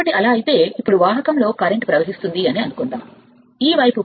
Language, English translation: Telugu, So, if it is so let now let us see that conductor is carrying current, this side is plus